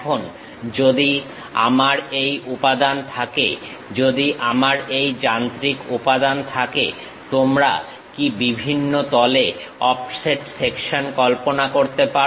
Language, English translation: Bengali, Now, if I have this material, if I have this machine element; can you guess offset section at different planes